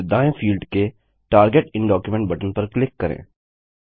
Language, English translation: Hindi, Then click on the button to the right of the field Target in document